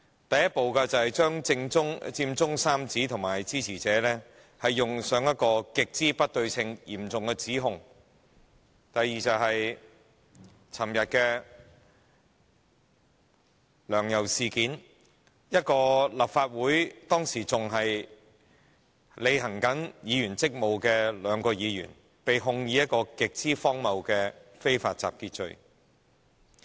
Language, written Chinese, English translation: Cantonese, 第一步是將佔中三子及其支持者冠以極不對稱的嚴重指控；第二步是昨天的"梁游"事件：當時仍在履行立法會議員職務的兩位前議員，被控以極荒謬的非法集結罪。, The first step was to raise grave allegations against the Occupy Central Trio and their supporters which were incommensurate with the wrongfulness of their acts; the second step was to usher in the LEUNG - YAU incident in which the two former legislators who were still performing the duties of Legislative Council Members then were ridiculously charged with the offence of unlawful assembly